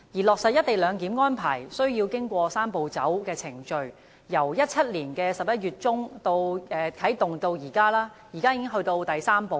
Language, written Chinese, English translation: Cantonese, 落實"一地兩檢"安排須經過"三步走"的程序，由2017年11月中啟動至今，現已到了最終的第三步。, Launched in mid - November 2017 the Three - step Process necessary for the implementation of co - location arrangement has now reached its third and final step